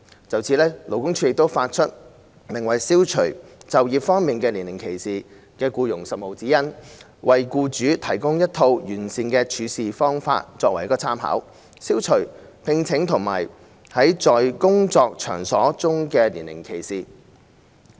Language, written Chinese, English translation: Cantonese, 就此，勞工處發出名為《消除就業方面的年齡歧視》的僱傭實務指引，提供一套完善的處事方法供僱主參考，從而消除招聘和在工作場所中的年齡歧視。, In this connection LD has issued the Practical Guidelines for Employers on Eliminating Age Discrimination in Employment . These guidelines aim to set forth the best practicesfor employers reference with a view to eliminating age discrimination in recruitment and workplaces